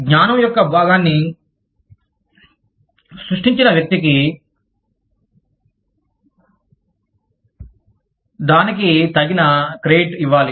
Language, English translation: Telugu, A person, who has created a piece of knowledge, should always be given due credit, for it